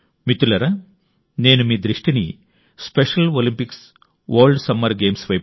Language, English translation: Telugu, Friends, I wish to draw your attention to the Special Olympics World Summer Games, as well